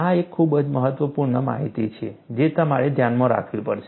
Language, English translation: Gujarati, This is a very key, important information, that you have to keep in mind